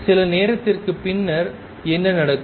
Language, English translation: Tamil, What happens sometimes later